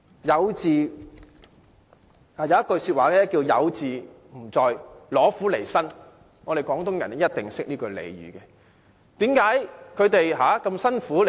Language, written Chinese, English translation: Cantonese, 有這樣一句話："有自唔在，攞苦嚟辛"，相信廣東人一定懂得這句俚語。, There is such a saying Let go of a bed of roses and engage in something that requires blood toil tears and sweat . I believe all Cantonese must know this slang